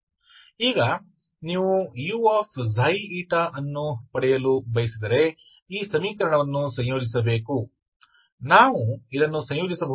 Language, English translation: Kannada, So if you want to get U Xi eta so you have to integrate this equation, can we integrate this